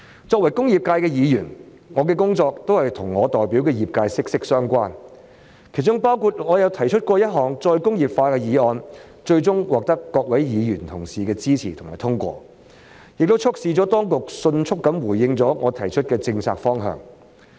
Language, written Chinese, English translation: Cantonese, 作為工業界的議員，我的工作與我所代表的業界息息相關，其中包括由我提出推動再工業化的議案，最終獲得各位議員同事的支持及通過，亦促使當局迅速回應我提出的政策方向。, As a Member representing the industrial sector my work in this Council is closely related to the sector which I represent . In this connection I have inter alia proposed a motion on promoting re - industrialization and with the support of fellow Members the motion was passed and the authorities were made to expeditiously respond to my proposed policy directions